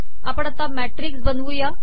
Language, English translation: Marathi, How do we create a matrix